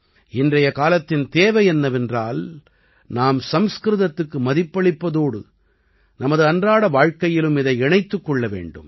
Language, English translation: Tamil, The demand of today’s times is that we should respect Sanskrit and also connect it with our daily life